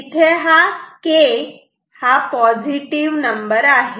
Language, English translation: Marathi, So, K is positive great